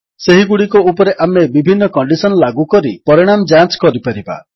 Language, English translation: Odia, We can apply different conditions on them and check the results